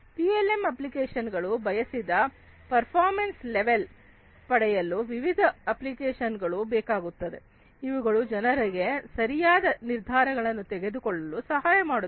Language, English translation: Kannada, PLM applications to get desired performance levels, different applications are required, which are responsible for enabling the people to take different decisions